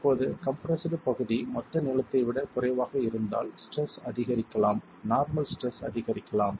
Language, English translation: Tamil, Now if the compressed area is less than the total length, then the stress can increase, the normal stress can increase